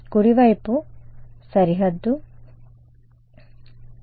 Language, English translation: Telugu, So, right hand side boundary ok